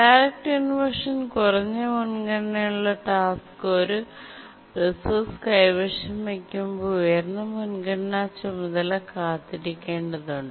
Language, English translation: Malayalam, Let me repeat again that in a direct inversion, a lower priority task is holding a resource, the higher priority task has to wait